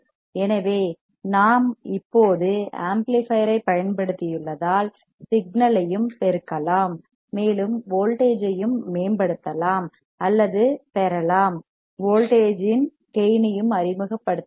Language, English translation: Tamil, So, because we have now used the amplifier, we can also amplify the signal and we can also improve or gain the voltage, we can also introduce the voltage gain